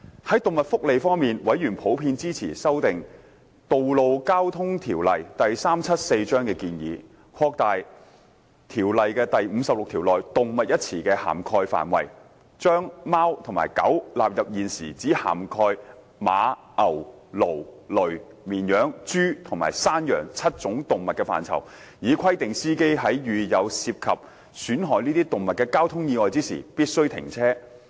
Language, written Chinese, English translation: Cantonese, 在動物福利方面，委員普遍支持修訂《道路交通條例》的建議，擴大該條例第56條內"動物"一詞的涵蓋範圍，把貓和狗納入現時只涵蓋馬、牛、驢、騾、綿羊、豬或山羊7種動物的範圍，以規定司機在遇有涉及損害這些動物的交通意外時必須停車。, On animal welfare members generally supported the proposed amendment to Road Traffic Ordinance Cap . 374 to enlarge the scope of animal under its section 56 by bringing cats and dogs under the coverage along with the existing seven animals of horse cattle ass mule sheep pig and goat . The proposed amendment requires a driver to stop in case of a traffic incident involving damage to any of these animals